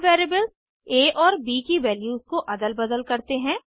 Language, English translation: Hindi, Let us swap the values of variables a and b